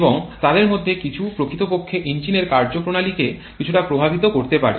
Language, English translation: Bengali, And some of them can really influence the engine performance quite a bit